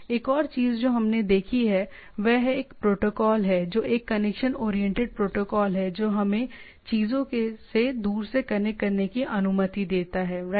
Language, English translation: Hindi, Another thing what we have seen is a protocol which is which is a connection oriented protocol is telnet which allows to remotely connect to the things right